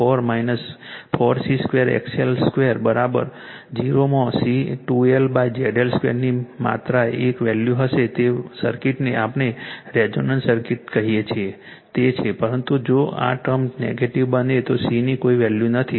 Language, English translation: Gujarati, So, and if Z L to the power 4 minus 4 C square XL square is equal to 0 you will have only one value of c right 2L upon ZL Square at which circuit your what we call is resonance circuit right, but if this term becomes negative there is no value of C that circuit will become resonant